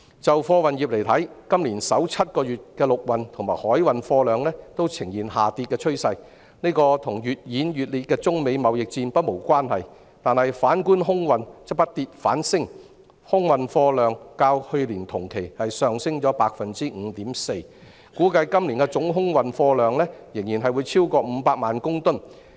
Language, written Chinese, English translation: Cantonese, 在貨運業方面，今年首7個月的陸運和海運貨量均呈現下跌趨勢，這與越演越烈的中美貿易戰不無關係，反觀空運則不跌反升，空運貨量較去年同期上升 5.4%， 估計今年的總空運貨量仍然會超過500萬公噸。, As regards the freight industry the inland and maritime cargo volumes have both shown signs of decline in the first seven months of this year . It is not unrelated to the escalating United States - China trade war . Contrarily the air cargo volume has risen instead of dropping